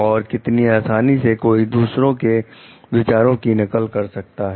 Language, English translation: Hindi, How read readily one should copy the ideas of others